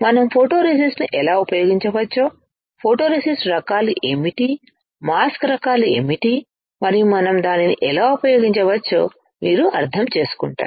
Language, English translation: Telugu, You will understand how we can use photoresist, what are the types of photoresist, what are the types of mask and how we can use it